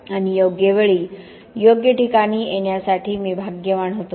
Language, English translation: Marathi, And I was just lucky to be in the right place at the right time